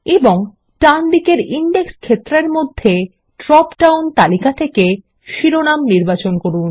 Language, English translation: Bengali, And choose Title in the drop down list under the Index field on the right